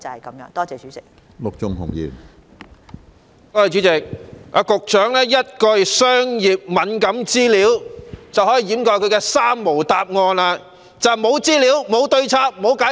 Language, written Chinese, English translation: Cantonese, 局長在主體答覆中以一句"商業敏感資料"，便掩飾了她的"三無"答覆，即是無資料、無對策、無解釋。, The Secretary made use of the phrase commercial sensitivity in her main reply to cover up her three - nil response that is no information no countermeasures and no explanation